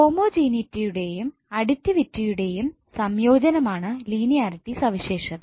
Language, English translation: Malayalam, Now linearity property is a combination of both homogeneity and additivity